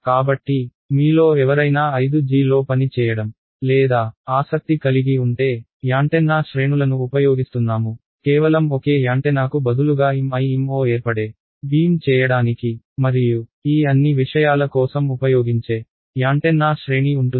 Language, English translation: Telugu, So, any of you who are in working or interested in 5G, people will be using antenna arrays, instead of just a single antenna there will be an array of antennas which will be used to do beam forming MIMO and all of these things